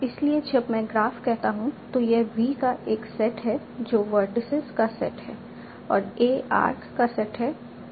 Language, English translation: Hindi, So when I say a graph, this is a set of v, that is set of vertices and a set of arcs